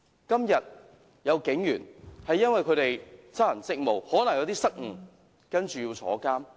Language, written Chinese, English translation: Cantonese, 今天有警員因為執行職務上可能有些失誤，結果要坐牢。, Today some police officers have ended up in jail because they might have made some mistakes in performing their duties